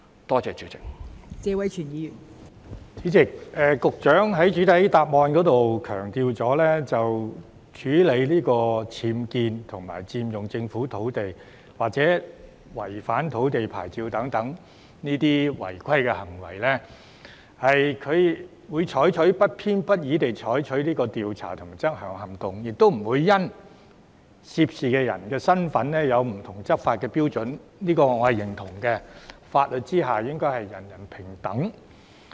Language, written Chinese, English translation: Cantonese, 代理主席，局長的主體答覆強調在處理僭建物、佔用政府土地或違反土地牌照等違規行為上，局方會不偏不倚地採取調查和執管行動，亦不會因為涉事人士的身份而採用不同的執法標準，我認同這種做法，法律之下應是人人平等。, Deputy President the Secretary has stressed in the main reply that in regard to irregularities concerning UBWs unauthorized occupation of government land or breaches of land licences the Bureau will proceed with investigations and enforcement actions impartially without varying the enforcement standards due to the identities of those involved . I approve of this approach because all people should be equal before the law